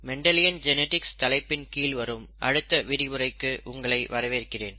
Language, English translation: Tamil, Welcome to the set of lectures on Mendelian Genetics